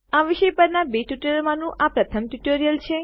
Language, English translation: Gujarati, This is one of the two tutorials on this topic